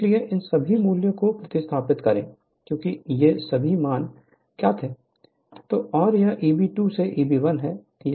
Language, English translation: Hindi, So, substitute all this value because, all this values are known right